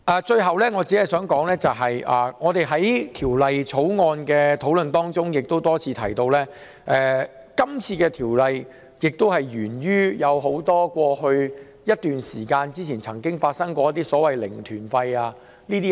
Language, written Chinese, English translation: Cantonese, 最後，在《條例草案》的討論過程中，我們多次提到，《條例草案》源於過去一段時間曾出現的"零團費"旅行團。, Lastly during the discussion on the Bill we have reiterated that the Bill was attributable to the zero - fare Mainland tour groups which had existed for a period of time